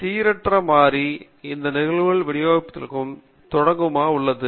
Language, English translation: Tamil, So, the random variable is the originator for these probability distributions